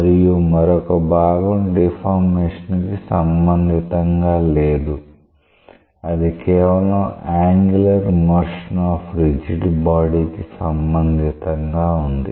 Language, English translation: Telugu, And another part is not related to deformation it is related to just angular motion like a rigid body